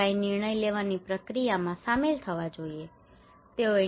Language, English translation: Gujarati, Community should be involved into the decision making process